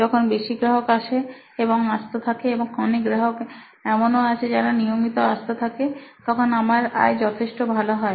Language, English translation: Bengali, So when we have many customer visits, if they keep coming, and there are many of them, many of the customers who are coming in regularly, then my revenue is very high